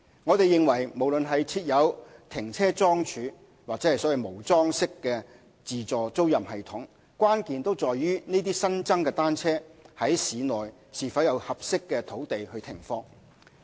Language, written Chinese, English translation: Cantonese, 我們認為無論是設有停車樁柱或無樁式的自助租賃系統，關鍵都在於這些新增的單車在市內是否有合適的土地停放。, We consider that irrespective of whether automated bicycle rental systems are with parking poles or not the key issue is whether there is suitable land in the city for parking of those newly commissioned bicycles